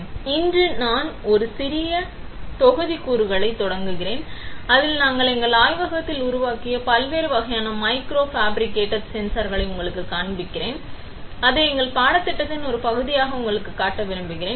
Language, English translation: Tamil, Welcome, today we start a series of short modules, where we show you different types of micro fabricated sensors that we have made in our lab and which we would like to show you as part of our course